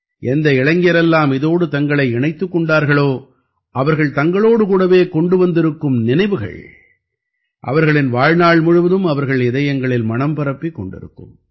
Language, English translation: Tamil, All the youth who have been a part of it, are returning with such memories, which will remain etched in their hearts for the rest of their lives